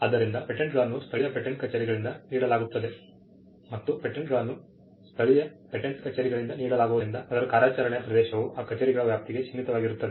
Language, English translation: Kannada, So, patents are granted by the local patent offices and because they are granted by the local patent offices, the territory of it their operation are also limited to the jurisdiction of those offices